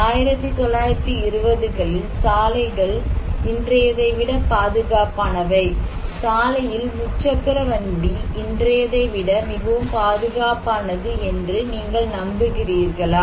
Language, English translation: Tamil, Do you believe in 1920’s, the roads were more safer than today, tricycle on road was much safer than today